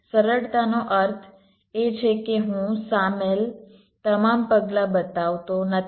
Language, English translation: Gujarati, simplistic means i am not showing all this steps involved